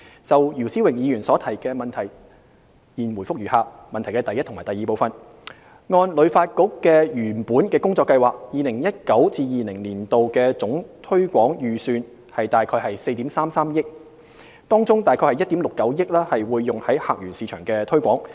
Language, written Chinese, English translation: Cantonese, 就姚思榮議員所提的質詢，現答覆如下：一及二按旅發局原本的工作計劃 ，2019-2020 年度的總推廣預算約為4億 3,300 萬元，當中約1億 6,900 萬元會用於客源市場的推廣。, My reply to the question raised by Mr YIU Si - wing is as follows 1 and 2 According to HKTBs original work plan the total marketing budget in 2019 - 2020 was estimated at about 433 million of which about 169 million was planned for use in visitor source markets